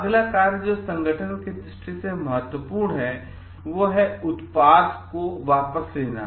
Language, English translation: Hindi, Next function which is important from the perspective of the organization is recall